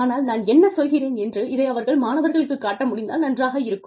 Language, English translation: Tamil, But, it will be nice, if they can show the students, what I am talking to